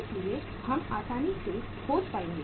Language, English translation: Hindi, So we will be able to easily find out